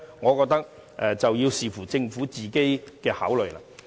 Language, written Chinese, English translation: Cantonese, 我認為要視乎政府的考慮。, I think it depends on the Governments consideration